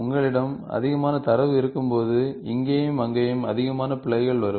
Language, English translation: Tamil, When you have more data, you will also have more errors coming here and there